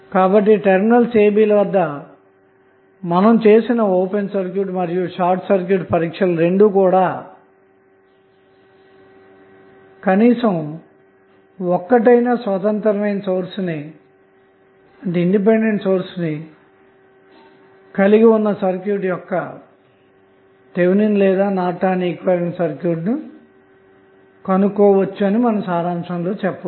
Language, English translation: Telugu, So, now you can say in summary that the open and short circuit test which we carry out at the terminal a, b are sufficient to determine any Thevenin or Norton equivalent of the circuit which contains at least one independent source